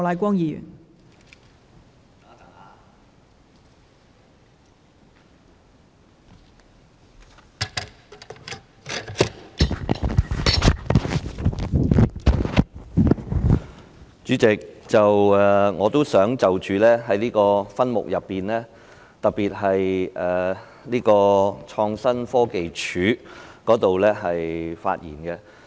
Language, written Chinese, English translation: Cantonese, 代理主席，我也想就着這數個分目，特別是創新科技署的範疇發言。, Deputy Chairman I would also like to speak on these several subheads in particular matters within the purview of the Innovation and Technology Commission ITC